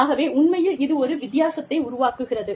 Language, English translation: Tamil, So, that really makes a difference